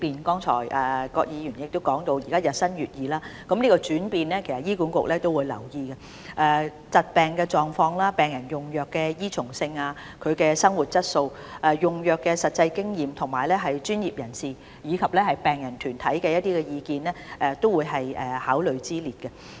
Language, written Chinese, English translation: Cantonese, 葛議員剛才提到現時醫學日新月異，其實醫管局亦會留意這些轉變，以及疾病的狀況、病人用藥的依從性、病人生活質素、用藥的實際經驗，以及專業人士和病人團體的意見均會是考慮之列。, HA will also take note of these changes as well as the development of diseases the medication compliance of patients their quality of life and the practical experience of drug application as well as the views of professionals and patient groups